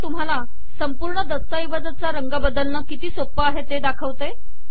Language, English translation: Marathi, Now what I am going to show is how easy it is to change the color of the entire document